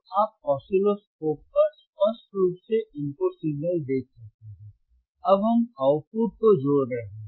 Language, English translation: Hindi, So, you can see clearly on oscilloscope the input signal, now we are connecting the output right